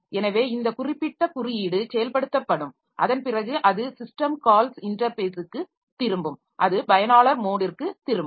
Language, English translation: Tamil, So, this particular piece of code will be executed and after that it will return to the system call interface from where it will return to the user application